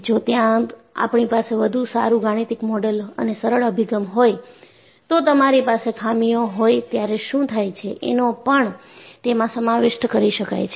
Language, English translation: Gujarati, If they had better mathematical model and simplified approaches, they would have also incorporated what happens when you have a flaw